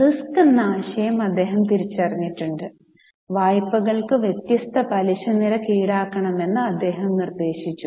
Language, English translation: Malayalam, He has recognized the concept of risk and suggested that different rate of interest for loans be charged